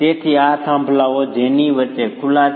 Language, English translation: Gujarati, So this is peers with openings in between